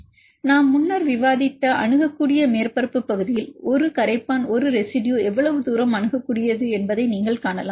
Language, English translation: Tamil, So, in accessible surface area, which we discussed earlier, you can see how far a residue is accessible to a solvent